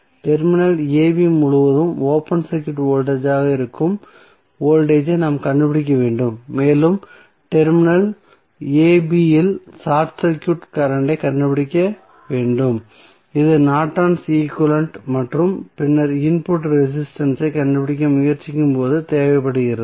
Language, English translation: Tamil, We have to find out the voltage that is open circuit voltage across terminal a, b and we need to find out short circuit current at terminal a, b which is required when we are trying to find out the Norton's equivalent and then input resistance across seen through the terminal a and b when all independent sources are turned off